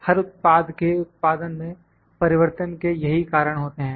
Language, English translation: Hindi, These are causes of variation in production every product